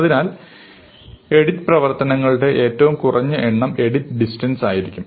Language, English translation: Malayalam, So, the minimum number of edit operations will then determine the distance